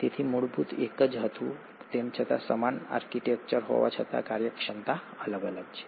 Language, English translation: Gujarati, So, the basic origin was the same, yet the functionalities are different despite having similar architecture